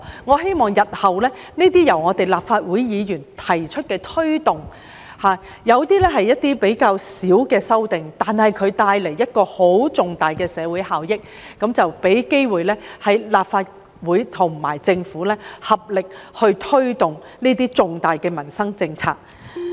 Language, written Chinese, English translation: Cantonese, 我希望日後這些由立法會議員提出的推動......有些是較小規模的修訂，但可帶來重大的社會效益，令立法會和政府能有機會合力推動這些重大的民生政策。, I hope that in future these amendments proposed by Members of the Legislative Council to promote some of them are minor ones but they will be able to bring about significant social benefits and give the Legislative Council and the Government the opportunity to work together to take forward these important livelihood policies